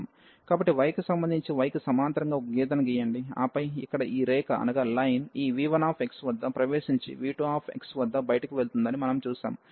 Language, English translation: Telugu, So, of with respect to y draw a line this parallel to y and then we see that this line here enters at this v 1 x and go out at v 2 x